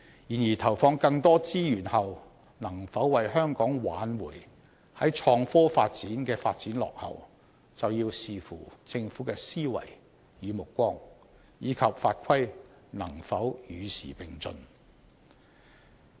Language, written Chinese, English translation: Cantonese, 然而，投放更多資源後能否為香港挽回創科發展的落後，就要視乎政府的思維與目光，以及法規能否與時並進。, However will injecting additional resources remedy Hong Kongs slow development in innovation and technology? . It depends on the mindset and vision of the Government and whether the relevant laws and regulations can keep abreast of the times